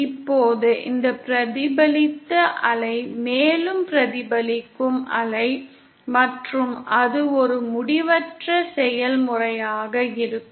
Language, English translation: Tamil, Now this reflected wave will be further reflected wave, and so on that will be an endless process